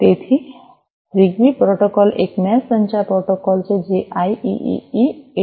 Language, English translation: Gujarati, So, ZigBee protocol is a mesh communication protocol which is based on IEEE 802